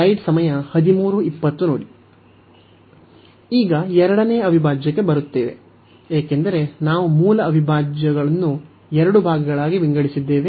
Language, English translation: Kannada, Now, coming to the second integral, because we have break the original integral into two parts